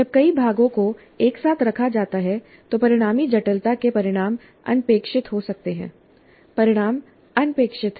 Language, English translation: Hindi, When many parts are put together, the resulting complexity can lead to results which are unintended